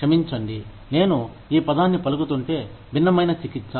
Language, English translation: Telugu, I am sorry, if i am pronouncing this word, disparate treatment